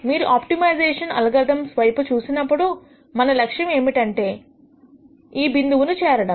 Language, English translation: Telugu, When you look at optimization algorithms, the aim is for us to reach this point